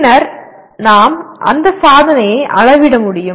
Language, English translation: Tamil, Then we should be able to measure that attainment